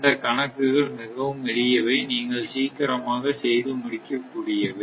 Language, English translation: Tamil, So, this problems are very simple you can easily do it